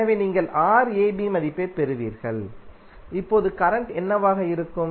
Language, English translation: Tamil, So you will simply get the value of Rab and now what would be the current